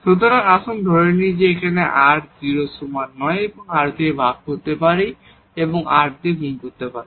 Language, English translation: Bengali, So, let us assume this r not equal to 0 we can divide by r and multiplied by r